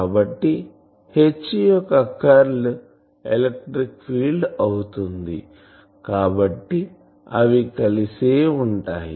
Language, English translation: Telugu, So, curl of H is in terms of the electric field so they are coupled together